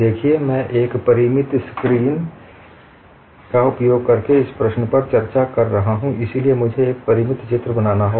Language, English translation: Hindi, See, I am discussing this problem using a finite screen, so I have to draw a finite diagram